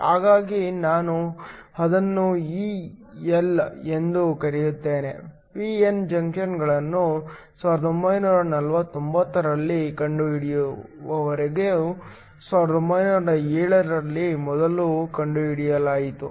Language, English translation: Kannada, So, I will just call it E L, was first discovered in 1907, until p n junctions were invented in 49